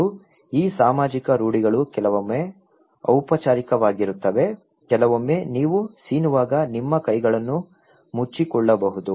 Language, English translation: Kannada, And these social norms are sometimes formal, sometimes very informal like you can put cover your hands when you were sneezing